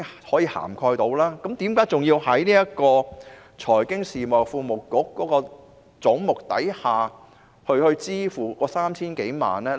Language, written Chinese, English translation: Cantonese, 為何還要在財經事務及庫務局的總目項下支付那 3,000 多萬元呢？, Why do we still need to pay the some 30 million under the head of the Financial Services and the Treasury Bureau?